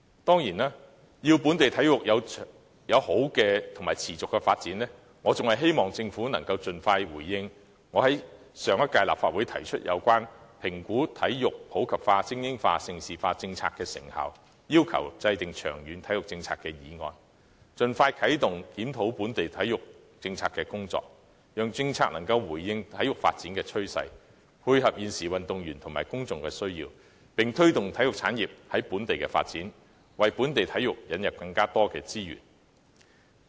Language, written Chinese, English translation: Cantonese, 當然，為使本地體育有良好和持續的發展，我希望政府能盡快回應我在上屆立法會提出有關評估體育普及化、精英化、盛事化等政策的成效，以及要求制訂長遠體育政策的議案，以盡快啟動檢討本地體育政策的工作，讓政策能回應體育發展的趨勢，配合現時運動員和公眾的需要，並推動體育產業在本地的發展，為本地體育的發展開拓更多資源。, To facilitate fine and sustainable development of local sports I definitely hope that the Government will expeditiously respond to my motion on as moved during the previous term of the Legislative Council evaluating the effectiveness of the policy on promoting sports in the community supporting elite sports and developing Hong Kong into a prime destination for hosting major international sports events and formulating a long - term sports policy with a view to expediting the review on the policy on local sports for the sake of bringing the policy in line with the trend of sports development . By doing so the Government will be able to meet the needs of both the athletes and the public while promoting the development of sports industry in Hong Kong . This will help open up more resources for the development of local sports